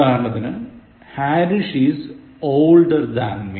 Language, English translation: Malayalam, Example, Harish is older than me